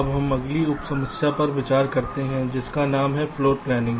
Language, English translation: Hindi, so we consider now the next sub problem, namely floor planning